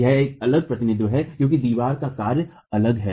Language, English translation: Hindi, This is a different representation because the action on the wall is different